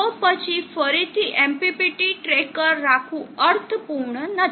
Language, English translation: Gujarati, So then again it is not meaningful to have MPPT tracker